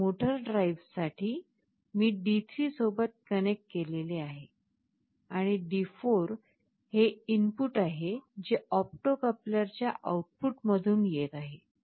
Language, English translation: Marathi, And for motor drive, I have connected to D3, and D4 is the input that is coming from the output of the opto coupler